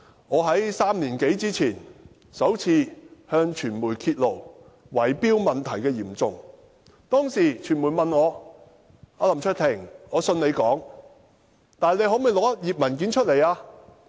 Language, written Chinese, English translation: Cantonese, 我在3年多前首次向傳媒揭露圍標問題的嚴重程度，當時傳媒問我："林卓廷，我相信你的說話，但你可否拿一頁文件出來作證？, Some three years ago I exposed the severity of the bid - rigging problem to the media for the first time . At that time the media asked me LAM Cheuk - ting I believe what you said but can you produce one page of document as proof?